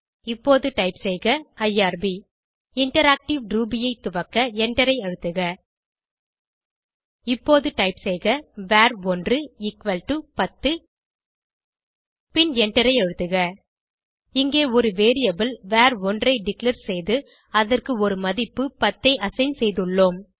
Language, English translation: Tamil, Now, type irb Press Enter to launch Interactive Ruby Now type var1 equal to 10 and Press Enter Here we have declared a variable var1 and assigned a value 10 to it